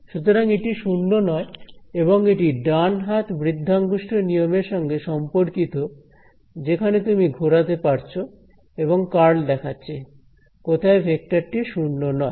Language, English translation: Bengali, So, this is non zero right and this is the familiar your right hand curl thumb rule sort of you can twist it along this and the curl is showing you where the vector is non zero